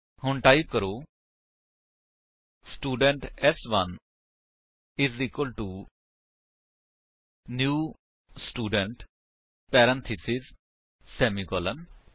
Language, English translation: Punjabi, So, type: Student s1 is equal to new Student parentheses semicolon